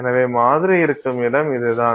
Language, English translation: Tamil, So, this is where your sample will sit